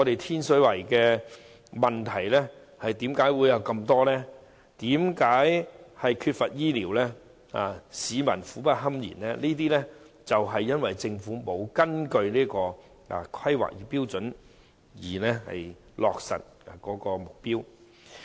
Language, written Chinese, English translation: Cantonese, 天水圍之所以有眾多問題，包括缺乏醫療服務，令市民苦不堪言，正是因為政府沒有根據《規劃標準》落實目標。, The numerous problems in Tin Shui Wai such as the lack of health care services that impose severe hardship on people are exactly due to the Governments failure to implement the objectives under HKPSG